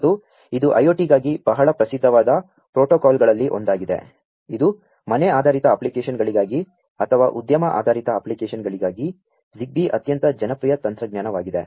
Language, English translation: Kannada, And it is one of the very well known protocols for IoT, for whether it is for home based applications or for industry based applications, ZigBee is a very popular technology